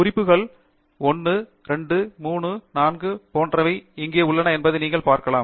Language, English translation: Tamil, You can see that the references are here 1, 2, 3, 4 etcetera